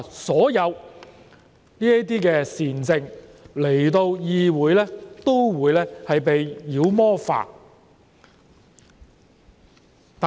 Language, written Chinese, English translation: Cantonese, 所有這些善政來到議會均會被妖魔化。, All of these benevolent policies have be vilified when they came to this legislature